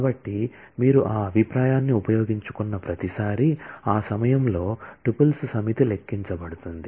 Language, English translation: Telugu, So, every time you make use of that view, at that time the set of tuples are computed